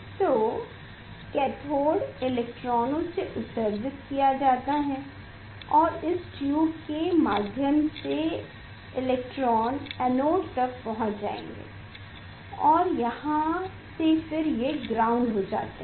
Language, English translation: Hindi, Now, from the cathode electrons are emitted and that electrons through this tube will come and reach to the; reach to the anode and that will go to the that electrons it is the grounded here